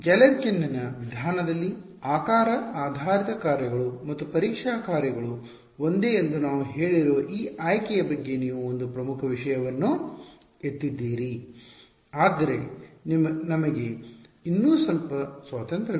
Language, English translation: Kannada, So, but you have raised an important point this choice of we said that in Galerkin’s method the shape basis functions and the testing functions are the same, but we still have a little bit of freedom